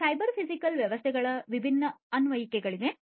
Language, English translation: Kannada, There are different applications of cyber physical systems